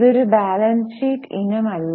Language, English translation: Malayalam, It's not a part of balance sheet